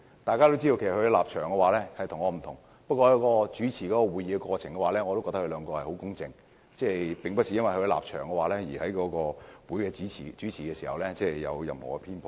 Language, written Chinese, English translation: Cantonese, 大家都知道，他們的立場與我不同。不過，在主持會議的過程中，我覺得他們很公正，並沒有因為立場不同而在主持會議時有任何偏頗。, As we all know their positions are different from mine but despite our differences they were impartial and did not hold any bias in chairing the meetings